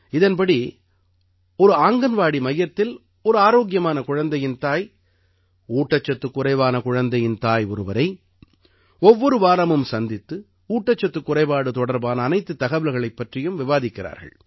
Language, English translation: Tamil, Under this, the mother of a healthy child from an Anganwadi center meets the mother of a malnourished child every week and discusses all the nutrition related information